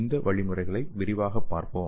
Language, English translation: Tamil, So let us see these mechanisms in detail